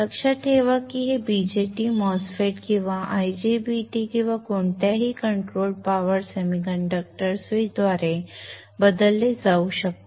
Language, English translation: Marathi, Remember that this BJT can be replaced by a MOSFET or an IGBT 2 any controlled power semiconductor switch